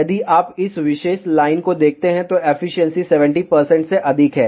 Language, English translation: Hindi, If you look at this particular line, efficiency is greater than 70 percent